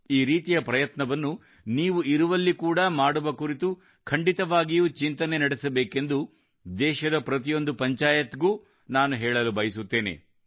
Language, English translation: Kannada, I appeal that every panchayat of the country should also think of doing something like this in their respective villages